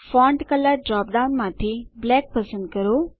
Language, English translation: Gujarati, From the Font Color drop down, select Black